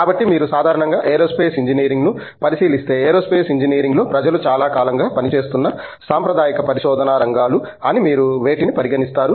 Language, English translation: Telugu, So, if you look at Aerospace Engineering in general, what you would consider as you know traditional areas of research in Aerospace Engineering which may be you know people may have been working on for a long time